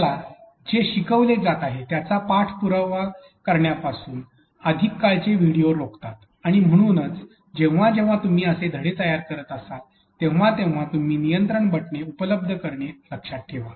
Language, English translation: Marathi, Longer videos actually preventing us from following up what is being taught and therefore, whenever you are creating such lessons in terms of video remember to provide also control buttons